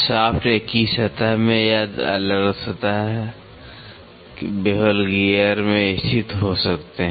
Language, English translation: Hindi, The shafts may lie in the same plane or in the different plane, bevel gear